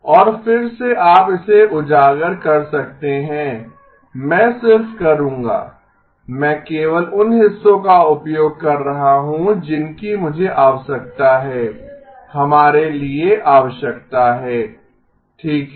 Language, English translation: Hindi, And again you may have been exposed to it, I will just I am using only that parts that I need to need for us okay